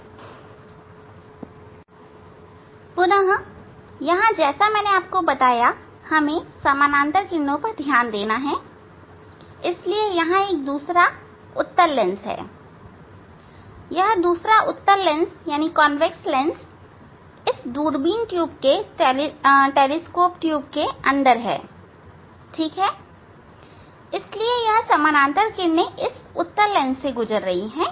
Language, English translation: Hindi, here again as I told this we have to focus the parallel rays, so there is another convex lens, another convex lens inside this telescope tube, ok; so, inside this telescope tube, ok S this parallel ray is passing through this convex lens